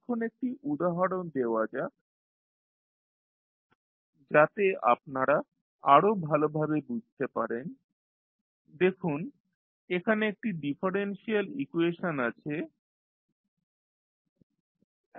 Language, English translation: Bengali, Now, let us take one example so that you can better understand let us see there is one differential equation that is d2y by dt2 plus 3 dy by dt plus 2y equal to r